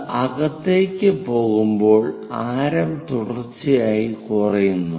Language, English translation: Malayalam, As it is going inside the radius continuously decreases